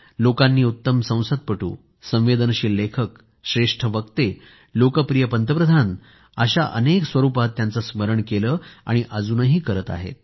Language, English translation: Marathi, People remembered him as the best member of Parliament, sensitive writer, best orator and most popular Prime Minister and will continue to remember him